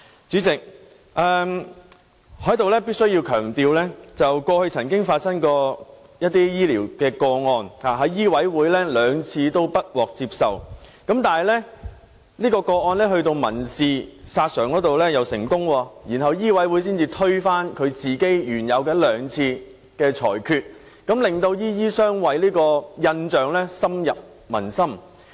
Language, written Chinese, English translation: Cantonese, 主席，我在此必須強調，過去曾有醫療個案在醫委會兩次不獲受理，但該宗個案卻民事索償成功，然後醫委會才推翻原有的兩次裁決，令"醫醫相衞"的印象深入民心。, President here I must emphasize that there was a medical case in the past in which the complainant filed a civil claim and succeeded in seeking compensation after the case was rejected twice by MCHK and only then did MCHK overturn its two original rulings thus giving people a deep impression of doctors harbouring each other